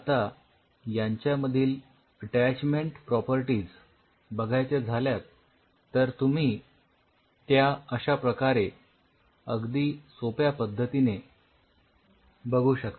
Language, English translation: Marathi, Now seeing their attachment properties and you can do very simple things to see the attachment